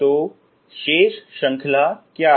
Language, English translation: Hindi, So what is the remaining series